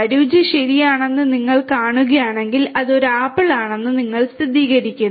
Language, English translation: Malayalam, If you see that the taste is ok, then you confirm that it is an apple